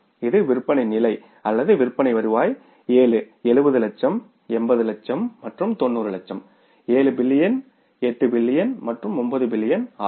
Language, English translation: Tamil, This is the sales level or the sales revenue which is 7, 70 lakhs, 80 lakhs and 90 lakhs 7 million, 8 million and 9 million right